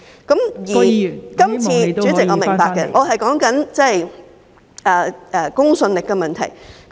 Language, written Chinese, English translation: Cantonese, 代理主席，我明白，我正在說公信力的問題。, Deputy President I know . I am speaking on the matter of credibility